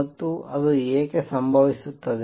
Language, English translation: Kannada, And why does that happen